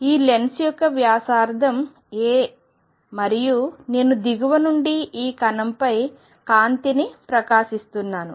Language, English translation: Telugu, And the radius of this lens is a and I am shining light on this particle from below